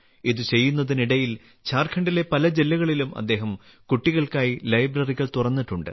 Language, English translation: Malayalam, While doing this, he has opened libraries for children in many districts of Jharkhand